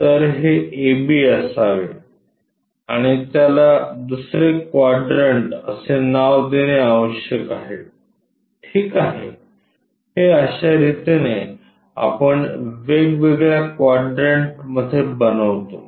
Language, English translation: Marathi, So, this must be a b and name it second quadrant ok, this is the way we construct in different quadrants